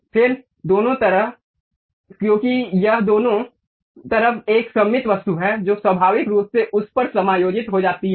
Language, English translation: Hindi, Then on both sides, because this is a symmetric objects on both sides it naturally adjusts to that